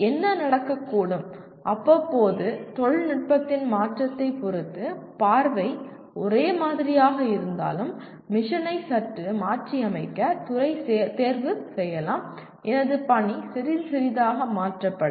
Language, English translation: Tamil, What may happen, from time to time depending on the change in technology, the department may choose to slightly alter the mission even though the vision remains the same, my mission gets altered a little bit